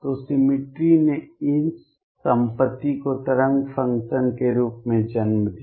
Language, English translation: Hindi, So, symmetry led to this property as wave function